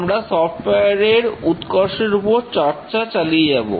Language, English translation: Bengali, We will continue with the evolution of software quality